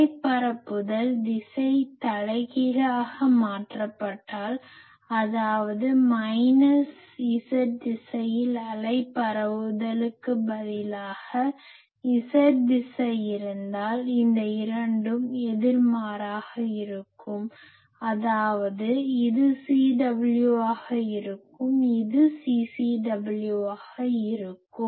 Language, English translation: Tamil, And please remember that if the wave propagation direction is reversed; that is instead of wave propagation in minus Z direction, if I have Z direction then these 2 will be opposite; that means, this will be CW, this will be CCW